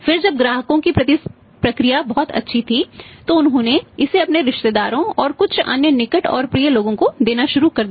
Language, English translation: Hindi, Then when the response was very good he started giving it to his say relatives and some other near and dears